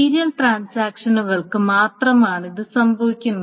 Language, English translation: Malayalam, It really only happens for serial transactions